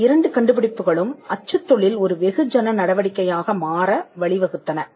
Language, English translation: Tamil, Now these two inventions lead to printing becoming a mass activity